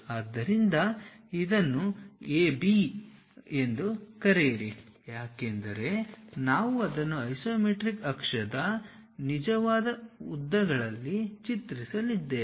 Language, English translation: Kannada, So, call this one A B because we are drawing it on isometric axis true lengths we will see